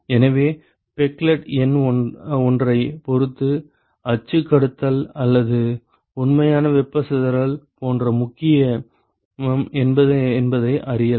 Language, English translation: Tamil, So, depending upon the peclet number one could actually sort of discern as to when the axial conduction or actual thermal dispersion is important ok